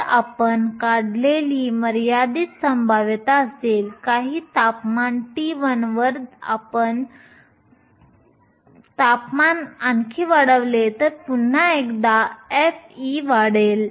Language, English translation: Marathi, So, there will be the finite probability we draw this is at some temperature t 1 if you increase the temperature even more then once again f of e will increase